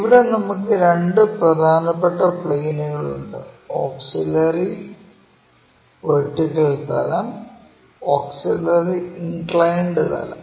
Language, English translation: Malayalam, So, there are two mainly two planes; one is auxiliary vertical plane other one is auxiliary inclined plane